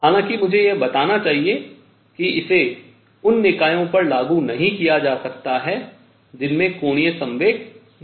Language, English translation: Hindi, However, I must point out that it cannot be applied to systems which do not have angular momentum